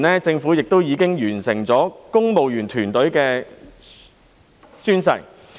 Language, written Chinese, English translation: Cantonese, 政府早前亦已完成公務員團隊的宣誓。, The Government has also completed the oath - taking procedures for civil servants earlier